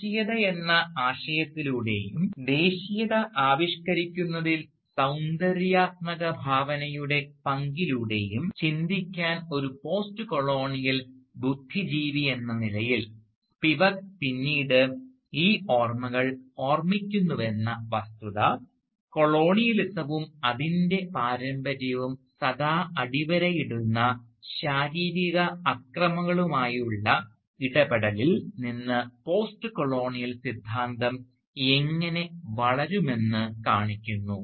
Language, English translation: Malayalam, And the very fact that Spivak recalls these memories later on as a postcolonial intellectual to think through the idea of nationalism and the role of aesthetic imagination in conceiving nationalism, this shows how postcolonial high theory can grow out of one's engagement with the physical violence that has always underlined colonialism and its legacies